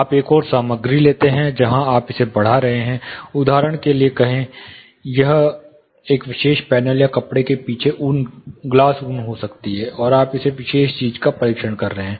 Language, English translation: Hindi, You take another material y, where you are mounting it, say for example, it could be glass wool behind a particular panel or a fabric, and you are testing this particular thing